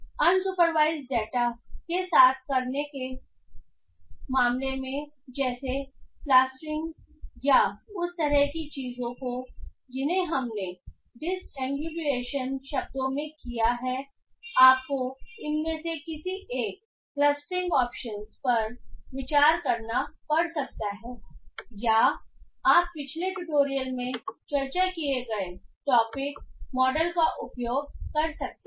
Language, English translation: Hindi, In case of working with unsupervised data like clustering or those kind of things that we have done in words sense disambligation you might have to consider one of these clustering options or you can use the topic model that we have discussed in the previous tutorial